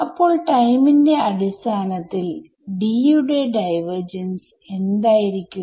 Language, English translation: Malayalam, So, what is that in terms of time what does that tell us about divergence of D